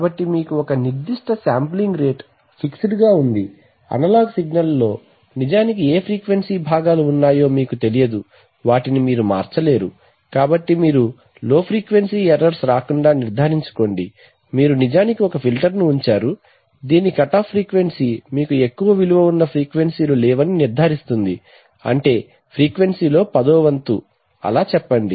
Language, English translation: Telugu, So therefore what you do, what you do is so now this leads to a concept so what you do is you actually need to restrict so you have a certain sampling rate which is fixed, you cannot change that you do not know what frequency components are actually present in the analog signal, so to make sure that you do not get low frequency errors what you do is you actually put a filter which whose cutoff frequency ensures that you have no frequencies beyond, let us say one tenth of the sampling frequency